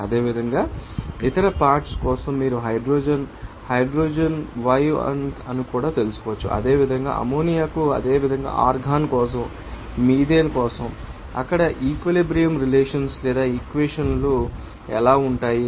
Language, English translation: Telugu, Similarly, for other components you can find out that hydrogen for hydrogen it will be yi too, similarly for ammonia similarly for argon similarly, for methane what will be the equilibrium relations or equations there